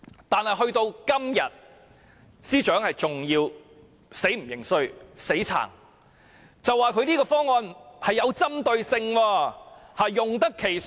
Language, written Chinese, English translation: Cantonese, 但直到今天，司長仍不認輸、仍嘴硬，說他這個方案有針對性、資源用得其所。, Nevertheless up to this date the Financial Secretary has refused to acknowledge failure or admit mistakes . According to him the proposal is targeted so that resources can be properly utilized